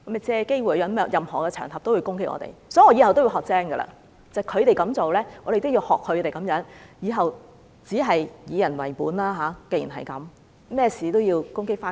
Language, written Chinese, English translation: Cantonese, 所以，從此以後我會學乖一點，既然他們這樣做，我們也要學他們這樣，以後只是"以人為本"，無論何事都攻擊他們。, Henceforth I will be smarter . As they are behaving this way we will follow suit . From now on we will be people - oriented only making attacks on them for everything